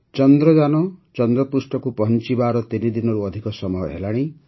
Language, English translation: Odia, It has been more than three days that Chandrayaan has reached the moon